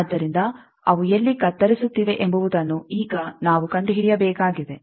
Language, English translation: Kannada, So we need to now find out that where they are cutting